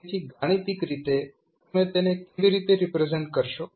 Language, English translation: Gujarati, So, mathematically, how will you represent